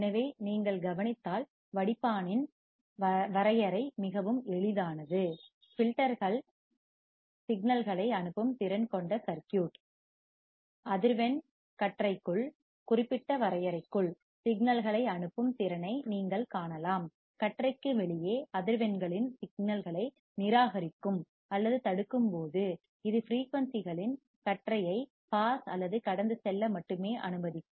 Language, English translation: Tamil, So, when you see the definition, the definition of filter is extremely simple, filters are circuit that are capable of passing signals, you can see capable of passing signals within a band of frequency, it will only allow the band of frequencies or to pass while rejecting or blocking the signals of frequencies outside the band